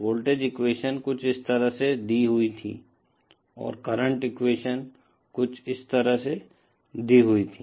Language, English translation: Hindi, The voltage equation was given like this and the current equation was given like this